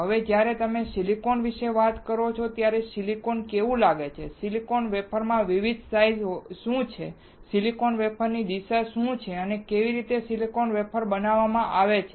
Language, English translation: Gujarati, Now, when you talk about silicon, how silicon looks like, what are the different size in silicon wafer, what are the orientations of silicon wafer and how silicon wafer is made